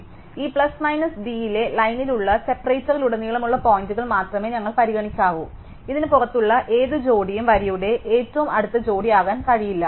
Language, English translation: Malayalam, So, we only need to consider points across the separator which line within this plus minus d, any pair outside this cannot be the closest pair overall